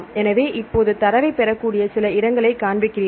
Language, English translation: Tamil, So, now you show some places you can get the data together